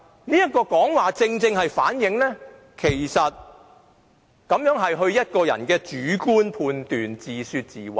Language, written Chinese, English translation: Cantonese, 這正好反映這是她個人的主觀判斷，自說自話。, This precisely reflects that she is making a subjective personal judgment trying to justify her own argument